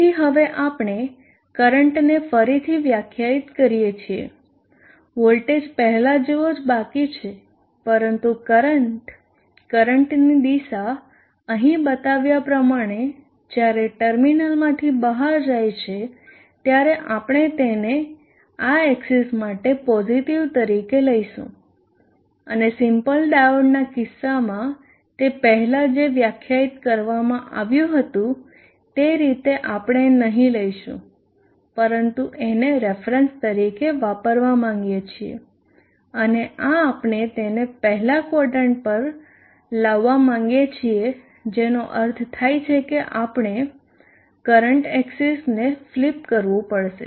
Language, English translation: Gujarati, Therefore, we now redefine the current the voltage remaining the same but the current the direction of the current we will take it as positive for this axis when the current goes out of the terminal as shown here and that not like what it was defined before for the case of the simple diode so we would not like to have this but would like to use this as a reference now and this we would like to bring it to the first quadrant which would mean we have to flip the current axis